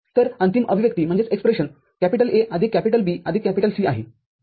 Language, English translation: Marathi, So, final expression is A plus B plus C